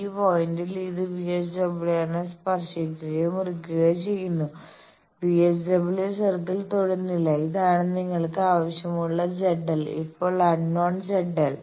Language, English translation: Malayalam, So, at this point it is touching or cutting the VSWR not touching cutting the VSWR circle, this is your required Z l dash point, now, unknown Z l dash